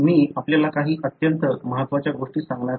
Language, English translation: Marathi, I am going to tell you some of the very important ones